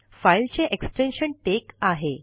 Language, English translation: Marathi, The extension of the file is tex